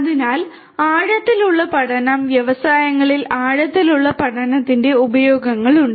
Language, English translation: Malayalam, So, deep learning, there are uses of deep learning a lot in the industries